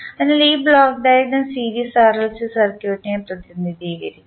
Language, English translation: Malayalam, So, this block diagram will represent the series RLC circuit